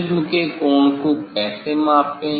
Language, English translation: Hindi, how to measure the angle of the prism